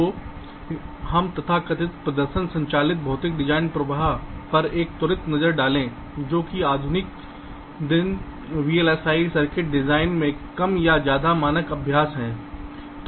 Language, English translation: Hindi, ok, so let us have a quick look at the so called performance driven physical design flow which is more or less standard practice in modern day vlsi circuits